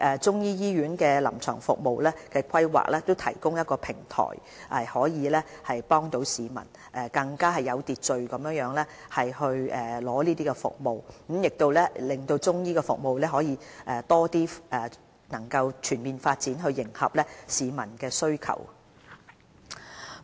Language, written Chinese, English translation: Cantonese, 中醫醫院臨床服務的規劃，正好提供了平台，有助市民更有秩序地取得服務，令中醫服務可以全面發展，以迎合市民需求。, The planning for Chinese medicine clinical services will provide a platform for the public to receive the services in an orderly manner and facilitate the comprehensive development of Chinese medicine to cope with the publics demand for the services